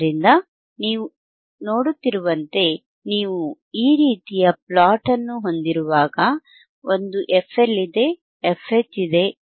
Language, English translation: Kannada, So, here you see, when you when you when you have this kind of plot, when you have this kind of plot, the there is an f L, there is an f H, right